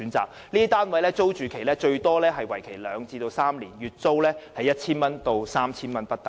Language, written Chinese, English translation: Cantonese, 這些單位的租住期最長為兩至三年，月租由 1,000 多元至 3,000 元不等。, The rental period of these housing units can be up to two to three years with a monthly rental ranging from some 1,000 to 3,000